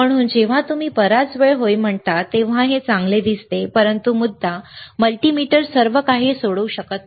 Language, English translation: Marathi, So, when you say lot of time yes it looks good, but the point is multimeter cannot solve everything